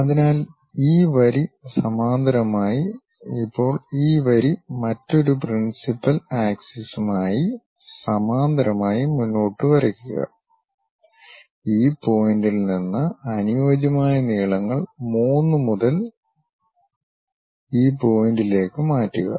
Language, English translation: Malayalam, So, this line this line parallel, now this line parallel with the another principal axis then go ahead and draw it, by transferring suitable lengths from this point to this point supposed to be from 3 to this point